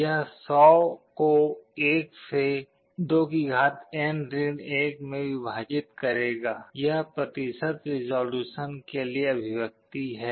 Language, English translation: Hindi, It will a 1 divided by (2N – 1) into 100; this is the expression for percentage resolution